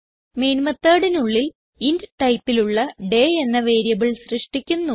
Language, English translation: Malayalam, Inside the main method, we will create a variable day of type int